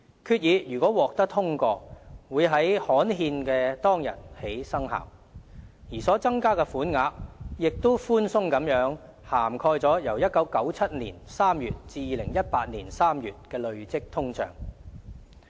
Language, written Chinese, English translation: Cantonese, 決議如獲通過，會在刊憲當天起生效，而所增加的款額亦寬鬆地涵蓋了由1997年3月至2018年3月的累積通脹。, Upon passage the resolution would take effect from the date of its publication in the Gazette and the increase in the bereavement sum would be more than sufficient to cover the cumulative inflation from March 1997 to March 2018